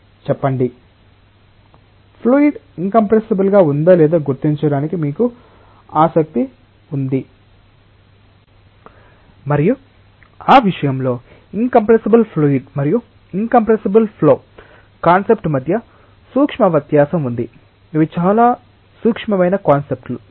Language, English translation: Telugu, Say, you are interested to identify whether a flow is incompressible or not and in that respect there is a subtle difference between the concept of incompressible fluid and incompressible flow these are very very subtle concepts